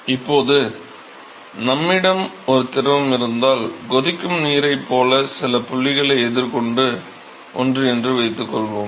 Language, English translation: Tamil, Now suppose if we have a fluid and this is something that all of us have encountet some point like boiling water we have always done that